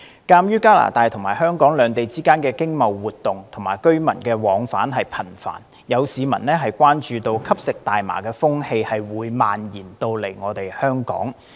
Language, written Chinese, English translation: Cantonese, 鑒於加拿大和香港兩地之間的經貿活動和居民往返頻繁，有市民關注吸食大麻的風氣會蔓延到香港。, Given the frequent economic and trade exchanges and flows of residents between Canada and Hong Kong some members of the public are concerned that the trend of consuming cannabis may spread to Hong Kong